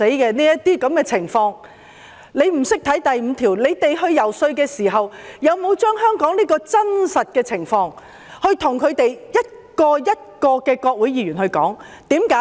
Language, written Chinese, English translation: Cantonese, 他們不懂得第5條的內容，那麼，當他們遊說時，有否把香港的真實情況向美國國會議員逐一解說。, They do not know what section 5 is about . So did they explain the actual situation in Hong Kong to the Senators and Congressmen of the United States one by one when lobbying them?